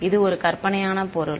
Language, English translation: Tamil, It is a hypothetical object